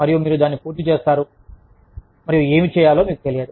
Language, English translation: Telugu, And, you finish it, and you do not know, what to do